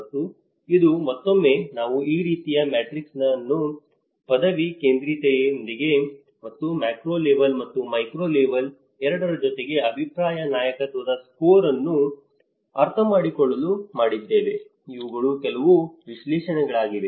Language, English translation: Kannada, And this is again, we made this similar matrix to understand the opinion leadership score with the degree centrality and with both as a macro level and the micro level so, these are some of the analysis